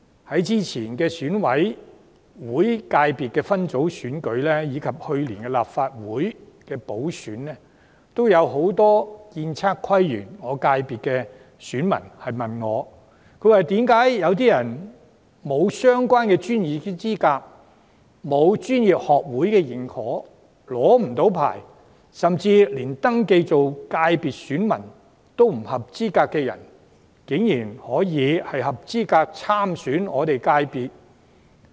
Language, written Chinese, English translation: Cantonese, 在2016年選舉委員會界別分組選舉及去年立法會補選舉行期間，均有不少建測規園功能界別的選民問我，為何有不具相關專業資格、未獲專業學會認可及未領取相關牌照，甚至不符合界別選民資格的人士，卻合資格參選我們的界別選舉？, During the Election Committee Subsector Elections held in 2016 and the Legislative Council By - election held last year many electors of the Architectural Surveying Planning and Landscape FC asked me why someone not having the relevant professional qualifications not being recognized by relevant professional societies and not having the relevant practising certificate and even not being eligible as electors were allowed to run in the election of the FC